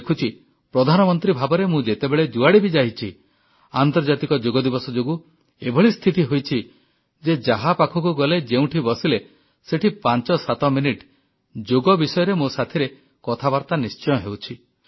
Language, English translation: Odia, I have seen that whenever I have had the opportunity to go as Prime Minister, and of course credit also goes to International Yoga Day, the situation now is that wherever I go in the world or interact with someone, people invariably spend close to 57 minutes asking questions on yoga